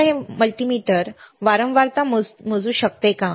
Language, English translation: Marathi, Now, can this multimeter measure frequency